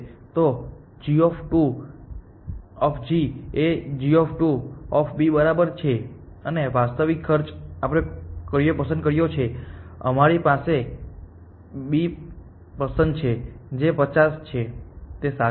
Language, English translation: Gujarati, So, g 2 of g is equal to g 2 of B plus the actual cost which is sorry which one have we picked we have pick B which is 50, correct